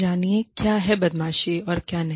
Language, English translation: Hindi, Know, what is bullying, and what is not